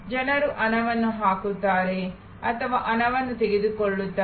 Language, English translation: Kannada, People come into put in money or take out money